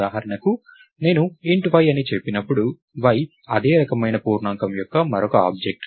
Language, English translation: Telugu, So, for example, when I say int y, y is another object of the same type integer